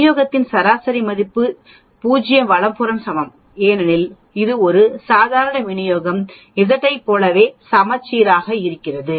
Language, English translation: Tamil, The mean of the distribution equal to 0 right because it is also symmetric just like a normal distribution Z